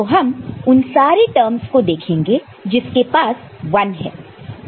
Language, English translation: Hindi, So, we shall look at the terms that are having all ones